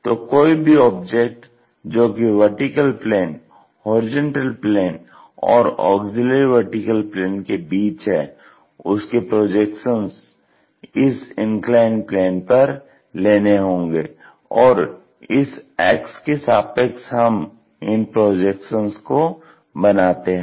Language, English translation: Hindi, So, any object which is in between vertical plane, horizontal plane and auxiliary plane, the projections if we are going to see it that will be taken on this inclined plane; about this axis we construct the projections